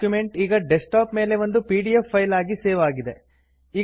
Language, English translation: Kannada, The document has now been saved as a pdf file on the desktop